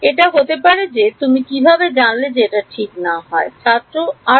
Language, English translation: Bengali, It might be how do you know it is correct or not